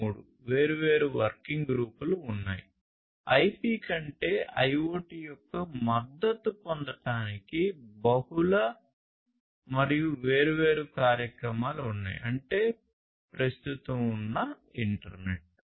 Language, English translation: Telugu, 3 different working groups are there like this there are multiple different initiatives in order to have support of I IoT over IP; that means, the existing internet